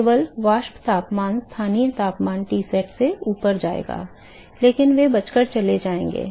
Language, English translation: Hindi, Only the vapor temperature the local temperature will go above Tsat, but they are going to escape and go away